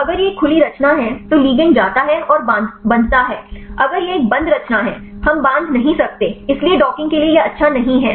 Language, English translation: Hindi, So, if it is a open conformation then the ligand go and bind; if it is a closed conformation; we cannot bind, so this is not good for the docking